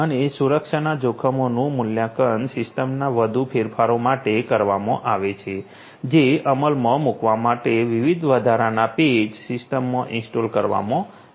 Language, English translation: Gujarati, And also the security risks are evaluated for further modifications of the system coming up with different additional patches to be implemented, to be installed in the system and so on